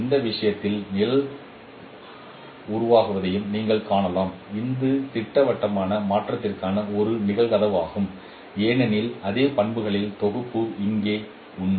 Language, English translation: Tamil, In this case also you can see the shadow formation that is also a case of projective transformation because the same set of properties those are true here